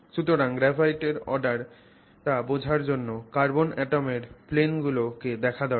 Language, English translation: Bengali, So, to understand the sense of order with respect to graphite we have to look at these planes of carbon atoms